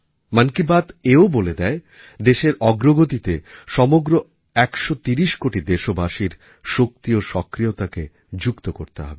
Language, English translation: Bengali, 'Mann Ki Baat' also tells us that a 130 crore countrymen wish to be, strongly and actively, a part of the nation's progress